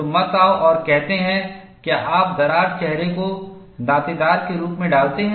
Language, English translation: Hindi, So, do not come and say, why you put the crack faces are jagged